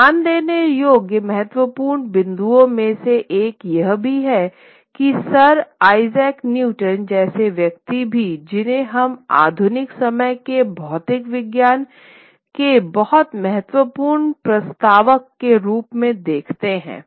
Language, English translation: Hindi, One of the important points to note is that even someone like Newton, Sir Isaac Newton, whom we look upon a very important proponent of modern day physics, the ideas of modern day physics